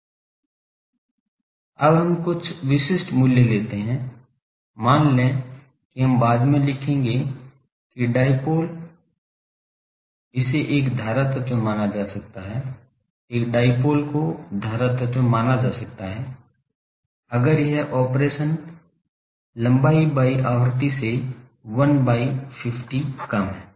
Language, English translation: Hindi, Now, let us have some typical values actually, suppose we will see later that the dipole, it can be considered a current element a dipole can be considered as a current element, if it is length by the frequency of operation is less than 1 by 50